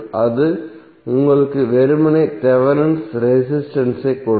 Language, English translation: Tamil, That will give you simply the Thevenin resistance